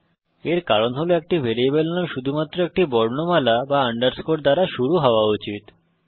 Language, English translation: Bengali, This is because a variable name must only start with an alphabet or an underscore